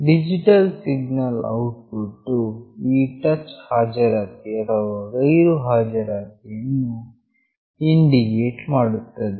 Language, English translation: Kannada, The digital signal output indicates the presence of this or absence of this touch